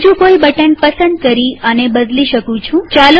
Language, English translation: Gujarati, I can change this by choosing any other button